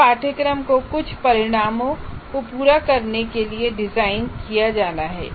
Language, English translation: Hindi, So, and this course has to be designed to meet certain outcomes